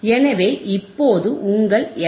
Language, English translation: Tamil, So, what is my f C